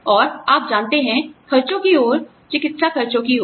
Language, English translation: Hindi, And, you know, towards the expenses, towards the medical expenses